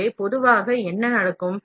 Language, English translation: Tamil, So, generally what happens